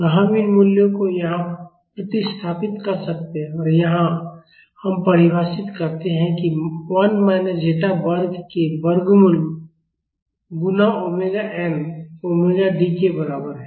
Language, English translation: Hindi, So, we can substitute these values here and here we define that this omega n square root of 1 minus zeta square is equal to omega d